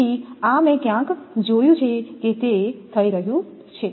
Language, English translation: Gujarati, So, these I have seen somewhere that it is happening